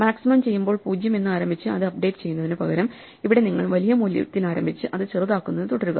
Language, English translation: Malayalam, Instead of starting with 0, and updating it when you do maximum; you start with the large value and keep shrinking it